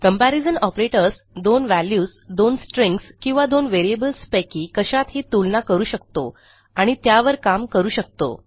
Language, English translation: Marathi, Comparison Operators can compare 2 values, 2 strings or 2 variables that can contain any of them and will act upon that